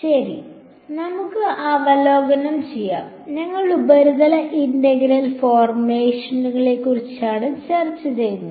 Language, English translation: Malayalam, Alright; so, let us review the, we were discussing the surface integral formulation